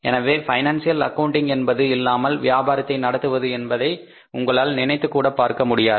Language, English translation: Tamil, So financial accounting you can't think of doing business without financial accounting